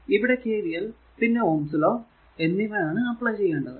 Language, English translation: Malayalam, So, KCL here KVL will apply ohms' law along with KVL